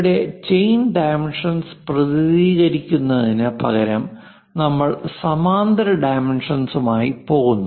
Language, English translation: Malayalam, Here, representing chain dimension instead of that we go with parallel dimensioning